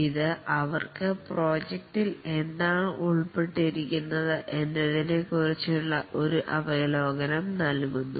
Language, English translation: Malayalam, This gives them an overview of what is involved in the project